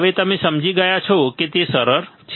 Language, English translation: Gujarati, Now you understood it is easy right it is easy